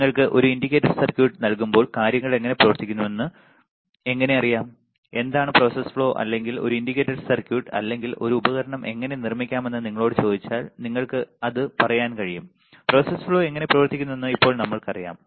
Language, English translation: Malayalam, How you will know how the things works when you are given an indicator circuit and if you are asked that what are the process flow or how you can fabricate a indicator circuit or an indicator circuit or a device you will be able to at least tell that, now we know how the process flow works